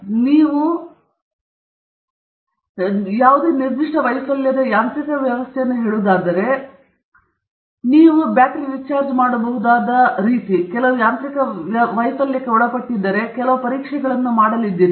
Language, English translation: Kannada, So, if you are talking about, say, a specific failure mechanism, let us say, you know, mechanical failure, you have done some test on, you know, if the battery – that rechargeable battery is subject to some mechanical failure